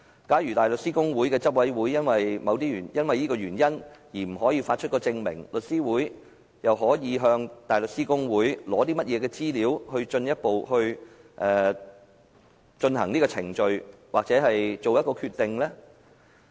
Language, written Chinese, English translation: Cantonese, 假如香港大律師公會的執委會因為這個原因而不發出證明，香港律師會又可以向香港大律師公會取得甚麼資料，是繼續進行這個程序還是作出決定？, If the Council of the Hong Kong Bar Association refuses to issue the certificate for that reason what information can The Law Society obtain from the Bar Association? . Should The Law Society proceed with the procedure or make a decision?